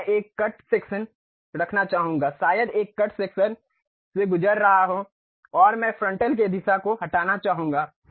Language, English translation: Hindi, Now, I would like to have a cut section maybe a cut section passing through this and I would like to remove the frontal portion